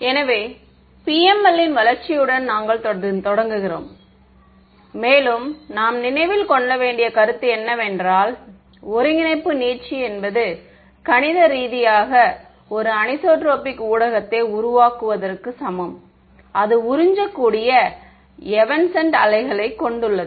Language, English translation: Tamil, So, we continue with our development of the PML, and the concept that we have to keep in mind is that coordinate stretching is mathematically the same as generating a anisotropic medium therefore, it absorbs right it has evanescent waves ok